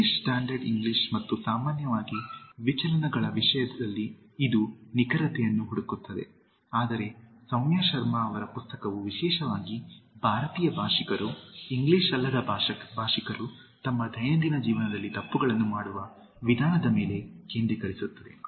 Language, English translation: Kannada, Is that it looks for, accuracy in terms of the British Standard English and the deviations in general, but Saumya Sharma’s book focuses particularly on the way mostly the Indian speakers, the Non English speakers commit mistakes, in their day to day life